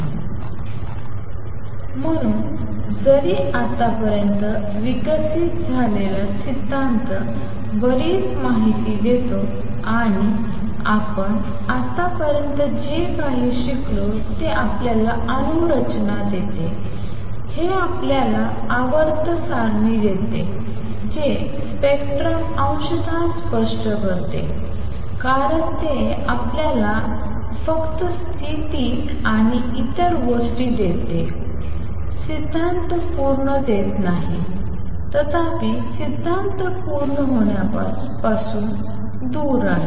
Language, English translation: Marathi, So, although the theory developed so far gives a lot of information and what all have we learned so far, it gives you atomic structure, it gives you periodic table explains spectrum partially because it gives you only the position, right and many other things still the theory is not complete; however, the theory is far from complete